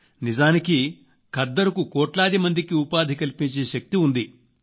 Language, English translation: Telugu, Khadi has the potential to provide employment to millions